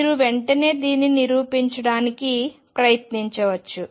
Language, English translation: Telugu, You can just right away you can also try to prove it